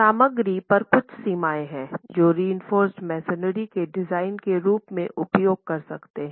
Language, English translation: Hindi, There are limits on the materials that you can use as far as design of reinforced masonry is concerned